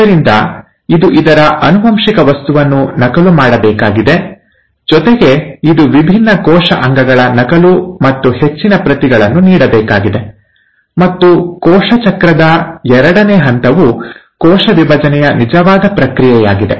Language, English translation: Kannada, So it has to duplicate it's genetic material, it also has to duplicate and give more copies of different cell organelles, and the second stage of cell cycle is the actual process of cell division